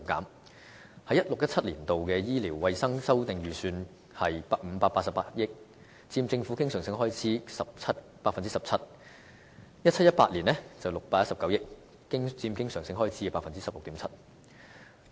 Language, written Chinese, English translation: Cantonese, 2016-2017 年度醫療衞生修訂預算是588億元，佔政府經常性開支 17%，2017-2018 年度是619億元，佔經常性開支 16.7%。, The revised estimation of expenditure on health care in 2016 - 2017 was 58.8 billion accounting for 17 % of government recurrent expenditure while the estimation in 2017 - 2018 is 61.9 billion accounting for 16.7 % of recurrent expenditure